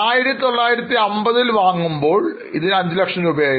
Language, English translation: Malayalam, We have purchased land for 5 lakhs in 1950